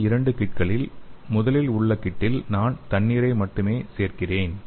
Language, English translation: Tamil, So in this two kit in the first one I will add the only the water okay